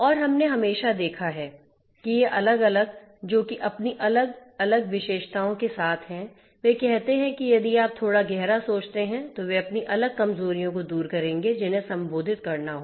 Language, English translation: Hindi, And we have always already seen that these different ones which are characterized with their own different you know own different features, they pose if you think little deeper, they will pose their own different vulnerabilities which will have to be addressed